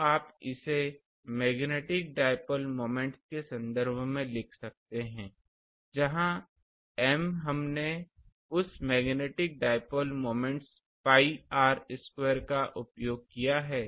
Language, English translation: Hindi, So, you can write it in terms of magnetic dipole moments as where M we have used that magnetic dipole moments pi r square a i